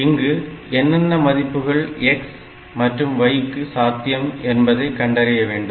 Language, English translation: Tamil, So, we have to find out the values of x and y